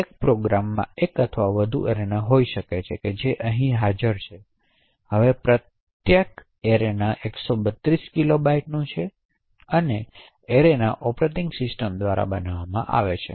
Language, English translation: Gujarati, One program could have one or more arenas which are present, now each arena is of 132 kilobytes and these arenas are created by invocations to the operating system